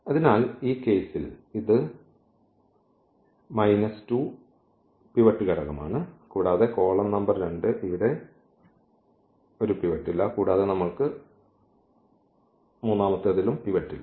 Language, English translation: Malayalam, So, here this is the pivot element which is minus 2 in this case and the column number two does not have a pivot here also we do not have pivot